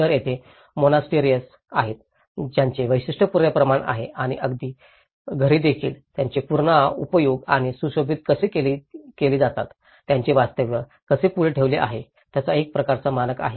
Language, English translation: Marathi, So, there is the monasteries which have a very typical standard and even the dwellings have a typical standard of how they are reused or decorated, how their factious have been put forward